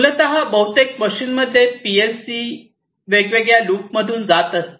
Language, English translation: Marathi, So, PLC basically in most of these machines PLC goes through different loops